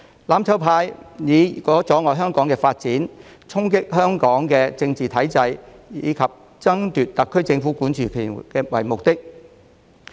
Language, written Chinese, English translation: Cantonese, "攬炒派"以阻礙香港發展、衝擊香港的政治體制，以及爭奪特區政府管治權為目的。, The mutual destruction camp aims at impeding the development of Hong Kong challenging the political system of Hong Kong and seizing the governing power from the SAR Government